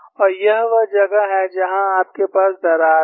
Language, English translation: Hindi, And this is where you have the crack